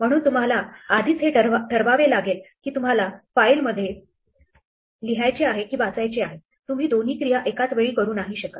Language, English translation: Marathi, So, what we have to do is decide in advance whether we are going to read from a file or write to it, we cannot do both